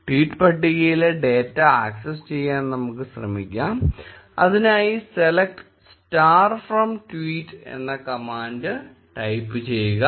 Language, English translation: Malayalam, Let us try to access the data in the tweet table, type the command, select star from tweets